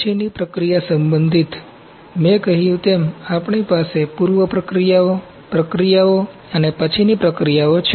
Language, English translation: Gujarati, Post processing concerns, as I said, we have preprocessing, processing and post processing